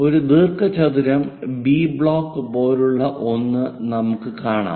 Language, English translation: Malayalam, We will see something like a rectangle B block